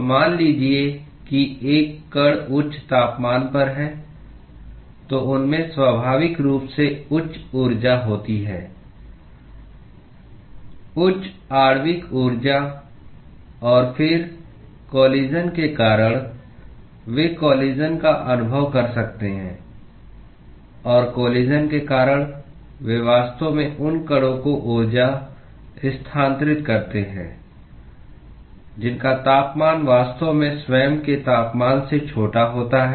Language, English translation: Hindi, So, suppose a particle is at higher temperature, then they naturally have higher energy higher molecular energy; and then due to collision they may experience collision and due to collision they actually transfer energy to those particles whose temperature is actually smaller then the temperature of itself